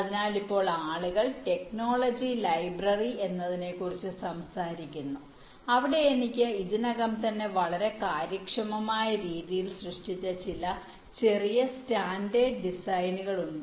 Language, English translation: Malayalam, so now people talk about creating something called ah technology library where some of the small standard designs i have already created in a very efficient way